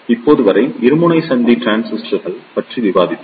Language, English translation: Tamil, Till now, we discussed about the bipolar junction transistors